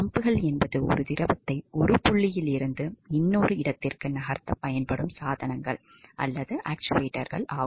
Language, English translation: Tamil, Pumps are devices or actuators that are used to move a fluid from one point to another ok